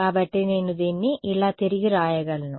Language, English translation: Telugu, So, I can rewrite this like this